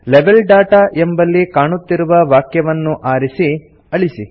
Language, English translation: Kannada, In the Level Data field, first select and delete the text displayed